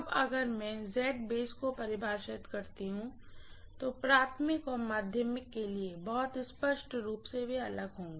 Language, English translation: Hindi, Now if I define base impedance, very clearly for the primary and secondary they would be different